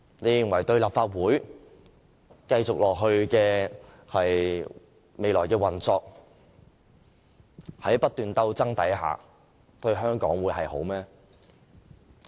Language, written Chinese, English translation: Cantonese, 你們認為立法會日後的運作陷入不斷鬥爭對香港有好處嗎？, Do you think constant struggles in the Legislative Council in future will do any good to Hong Kong?